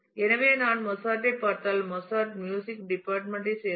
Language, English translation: Tamil, So, if I look at Mozart then Mozart is from the department of music